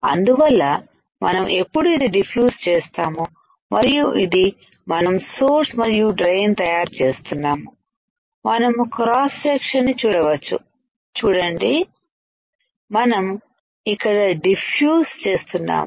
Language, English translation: Telugu, So, that when we diffuse this and this, we are creating source and drain, we can see our cross section see we are diffusing here